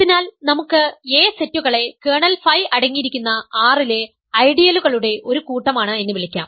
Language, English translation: Malayalam, So, let us maybe call the sets A is a set of ideals in R containing kernel phi